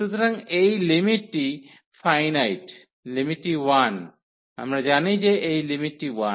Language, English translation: Bengali, So, this limit is finite, the limit is 1, we know that this limit is 1